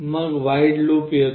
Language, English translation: Marathi, Then comes the void loop